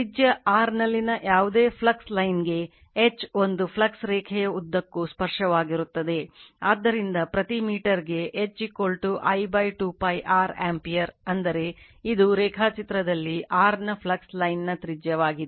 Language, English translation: Kannada, Since, H is tangential all along a flux line, for any flux line in radius r right, so H is equal to I upon 2 pi r ampere per meter that means, this is the radius of a flux line of r say here in the diagram